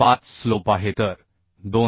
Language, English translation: Marathi, 5 slop 2